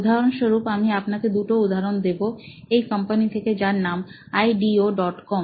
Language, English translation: Bengali, So, for example, I will give you two examples from this company called ideo